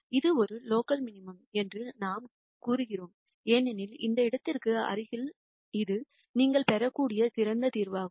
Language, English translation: Tamil, We say it is a local minimum because in the vicinity of this point this is the best solution that you can get